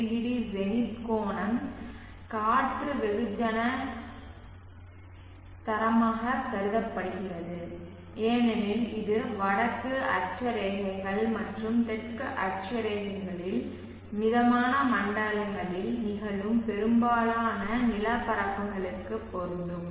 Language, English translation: Tamil, 20 Zenith angle is considered as the air mass standard as this is applicable for most of the land masses which are occurring at the temperate zones in the northern latitudes and the southern latitudes one more point before